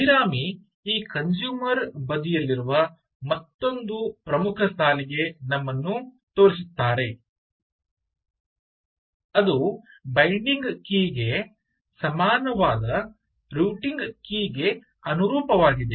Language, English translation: Kannada, abhirami points us to another important line in the, in this consumer side, which corresponds to the routing key, equal to the binding key